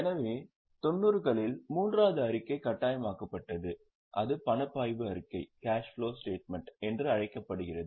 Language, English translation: Tamil, So, a third statement was made mandatory in 90s and that is known as cash flow statement